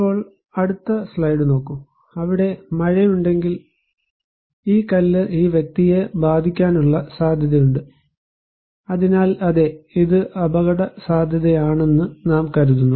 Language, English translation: Malayalam, Now, look at the next slide, so if there is a rain then, there is a possibility that this stone would hit this person so yes, we consider this is as risky